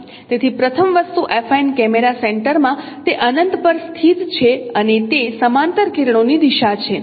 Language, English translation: Gujarati, So first thing is that in the affine camera camera center, it lies at infinity and it is a direction of parallel race